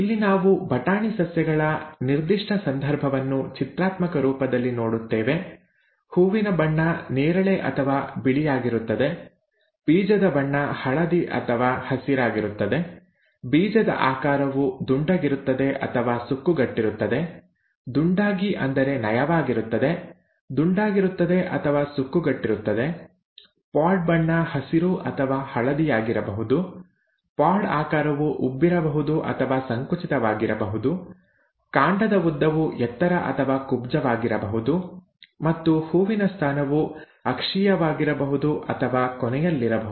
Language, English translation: Kannada, Here, we see it in a pictorial form in the particular case of pea plants; the flower colour would either be purple or white; the seed colour would either be yellow or green; the seed shape would be round or wrinkled, by round it is actually smooth, round or wrinkled; the pod colour could either be green or yellow; the pod shape could be either inflated or constricted; the stem length could be either tall or dwarf; and the flower position could be either axial or at the end, terminal, okay